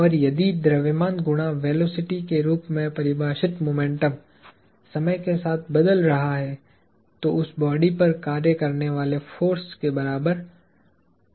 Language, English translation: Hindi, And, if the momentum defined as mass times velocity is changing with time, then that is equal to the force acting on that body